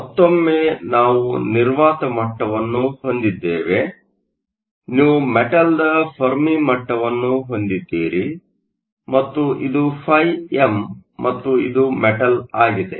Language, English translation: Kannada, So, Once again we have the vacuum level, you have the Fermi level of the metal and this is phi m and this is the metal